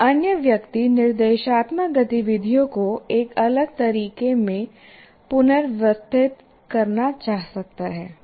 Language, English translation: Hindi, But another person may want to follow a different, may want to rearrange the instructional activities in a different way